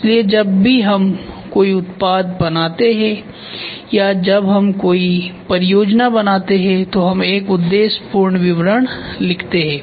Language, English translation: Hindi, So, whenever we make a product or when we make a project we write a objective statement